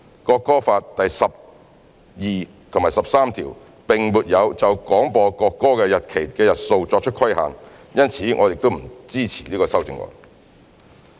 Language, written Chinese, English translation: Cantonese, 《國歌法》第十二及十三條並沒有就廣播國歌的日期的日數作出規限，因此我們不支持此修正案。, Since Articles 12 and 13 of the National Anthem Law have not restricted the number of dates on which the national anthem must be broadcast we do not support this amendment